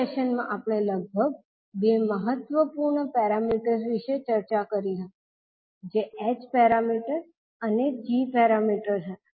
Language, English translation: Gujarati, In this session we discussed about two important parameters which were h parameters and g parameters